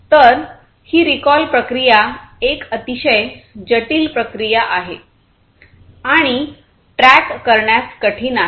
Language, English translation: Marathi, So, that recall process is a very complex process and it is a very not only complex, but a process which is very hard to track